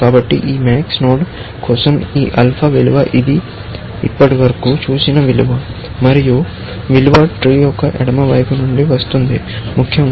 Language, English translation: Telugu, So, this alpha value for this max node is the value it has seen so far, and the value comes from the left hand side of the tree, essentially